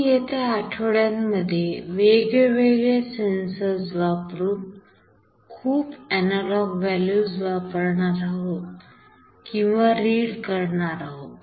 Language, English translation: Marathi, We will see in the subsequent weeks that we will be using or reading many analog values with various sensors